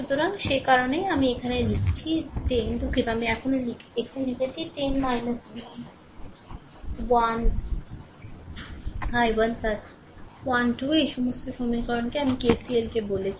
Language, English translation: Bengali, So, that is why I am writing here 10 ah sorry I am writing here 10 minus v 1 i 1 plus 12 this all this equations KCL I have told you to